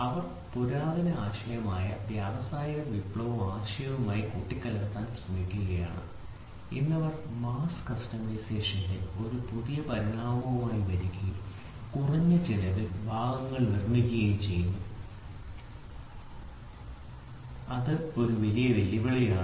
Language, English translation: Malayalam, So, they are trying to take the ancient idea mix it up with the industrial revolution idea and today they are coming up with a new evolution of mass customization and produce parts economically which is a big big challenge